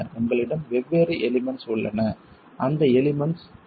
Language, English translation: Tamil, You have different elements there and what are those elements